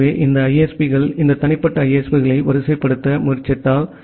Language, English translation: Tamil, So, this ISPs so, if we just hierarchically try to arrange this individual ISPs